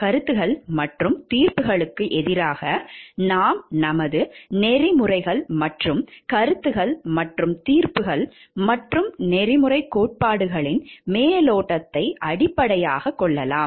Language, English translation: Tamil, Opinions versus judgments can we base our ethics and opinions and judgments, and overview of ethical theories